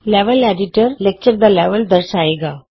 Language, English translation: Punjabi, The Level Editor displays the Lecture Level